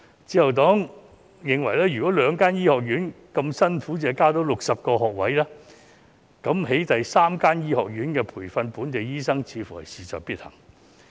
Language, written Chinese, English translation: Cantonese, 自由黨認為，如果兩間醫學院那麼辛苦亦只能增加60個學位，那麼興建第三間醫學院培訓本地醫生似乎事在必行。, 3.4 doctors per 1 000 people 10 000 additional doctors are needed . The Liberal Party holds that since the two medical schools can only add 60 places despite their hard efforts the construction of the third medical school to train local doctors seems imperative